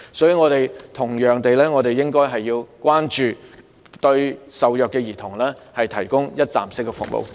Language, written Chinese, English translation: Cantonese, 所以，我們同樣應該關注受虐兒童，為他們提供一站式服務。, Therefore we should also attach importance to the situation of abused children and provide them with one - stop services